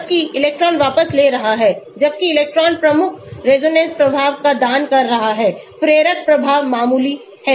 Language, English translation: Hindi, Whereas electron withdrawing whereas electron donating predominant resonance effect, inductive effect is minor